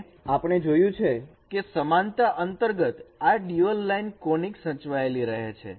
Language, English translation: Gujarati, We have seen that this under the similarity transform this dual line conic remains preserved